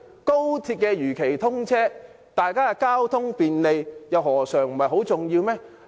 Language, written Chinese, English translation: Cantonese, 高鐵如期通車，大家交通便利，又何嘗不是很重要？, Isnt it very important for XRL to be commissioned as scheduled and provide transport convenience to the public?